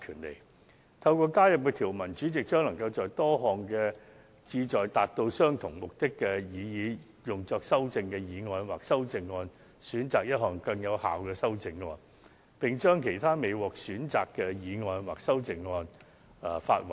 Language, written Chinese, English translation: Cantonese, 藉新增的條文，主席將能在多項旨在達到相同目的的議案或擬議修正案中，選擇最有效的修正，並發還其他不獲選的議案或擬議修正案。, By virtue of the newly added provisions the President will be able to select the most effective ones from among those motions or proposed amendments moved for the same purpose and return the unselected ones to Members